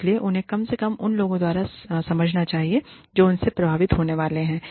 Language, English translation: Hindi, So, they should be understandable, at least by the people, who are going to be affected by them